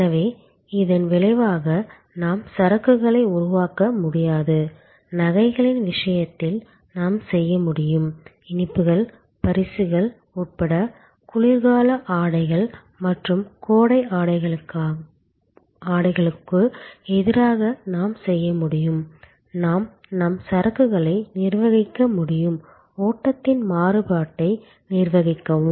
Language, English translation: Tamil, So, as a result we cannot create inventory, which we can do in case of jewelry, which we can do in case of sweets, incase of gifts, in case of winter clothes versus summer clothes, we can manage our inventory, our stock to manage the variation in the flow